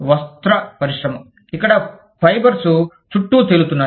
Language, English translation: Telugu, Textile industry, where fibers are floating around